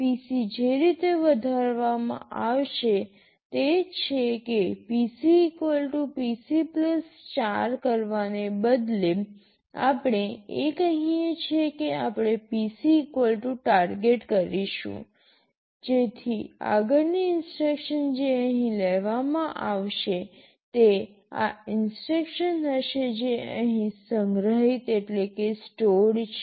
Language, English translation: Gujarati, The way PC will be incremented is that instead of doing PC = PC + 4, what we are saying is that we will be doing PC = Target, so that the next instruction that will be fetched will be this instruction which is stored here